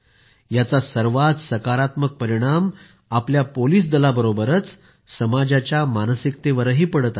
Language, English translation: Marathi, The most positive effect of this is on the morale of our police force as well as society